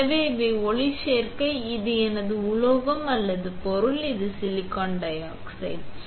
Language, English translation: Tamil, So, these are photoresist, this is my metal or material, this is silicon dioxide